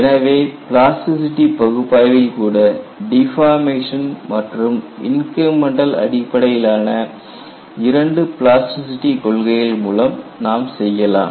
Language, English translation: Tamil, Even in plasticity analysis, you can do by deformation theory of plasticity and incremental theory of plasticity